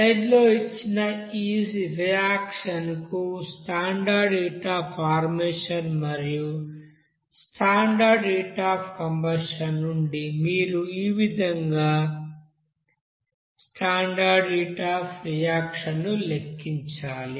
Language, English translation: Telugu, Next, we will do another you know example for this like here suppose you have to calculate the standard heat of reaction as follows from the standard heat of formation and standard heat of combustion for this you know reaction given in the slide